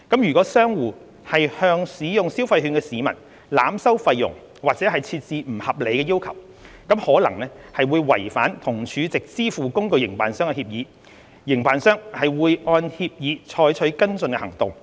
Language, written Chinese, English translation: Cantonese, 如果商戶向使用消費券的市民濫收費用或設置不合理要求，可能違反與儲值支付工具營辦商的協議，營辦商會按協議採取跟進行動，包括取消其帳戶。, If merchants overcharge or impose unreasonable conditions on consumers using consumption vouchers they may breach their agreements with the SVF operators . The SVF operators may take action according to the agreement including cancellation of their accounts